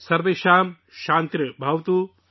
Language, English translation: Urdu, Sarvesham Shanti Bhavatu